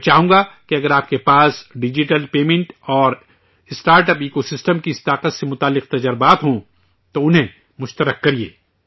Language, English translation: Urdu, I would like you to share any experiences related to this power of digital payment and startup ecosystem